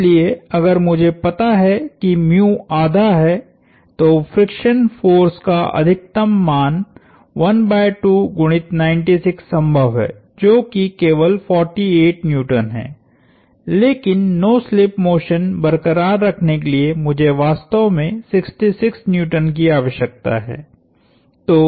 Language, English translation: Hindi, So, if I know mu is half, the maximum value of friction force possible is half times 96, which is only 48 Newtons, but I really need 66 Newtons in order to sustain no slip motion